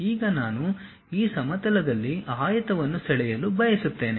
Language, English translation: Kannada, Now, I would like to draw a rectangle on this plane